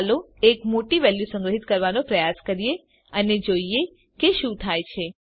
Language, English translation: Gujarati, Let us try to store a large value and see what happens